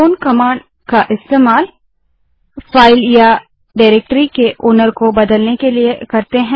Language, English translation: Hindi, c h own command is used to change the ownership of the file or directory